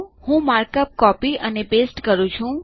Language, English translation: Gujarati, I am copying and pasting the markup